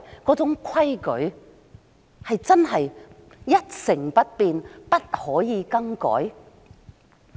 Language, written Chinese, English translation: Cantonese, 那種規矩，真的是不可以更改嗎？, Are those rules so rigid that they cannot be changed at all?